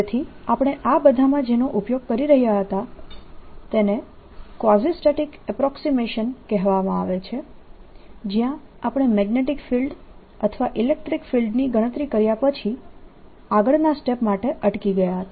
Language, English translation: Gujarati, so we were using in all this something called the quasistatic approximation, where we stopped after calculating the magnetic field or electric field and did not go beyond to the next step